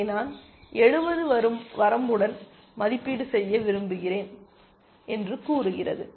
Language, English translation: Tamil, It amounts to say that I want to evaluate this with a bound of 70 essentially